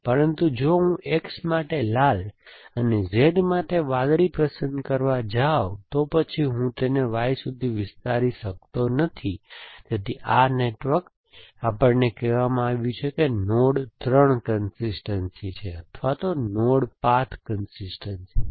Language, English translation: Gujarati, But, if I go to choose red for X and blue for Z, then I cannot extend to Y, so this network is given to us is node 3 consistence or is node path consistence